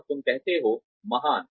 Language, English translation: Hindi, And, you say, great